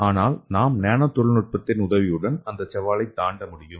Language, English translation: Tamil, So with the help of nano technology we could be able to achieve those challenges